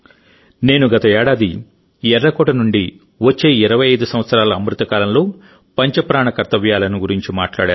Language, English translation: Telugu, I had talked about 'Panch Prana' for the next 25 years of Amritkal from Red Fort last year